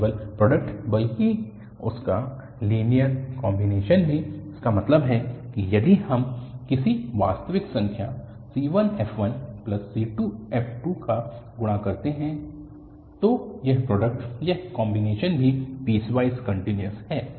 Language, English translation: Hindi, Not only the product, but also their linear combination, that means if we multiply by some real number c1 f1 plus another real number c2 f2, then this product, this combination is also piecewise continuous